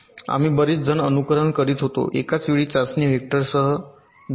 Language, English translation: Marathi, we were simulating many faults together with one test vector at a time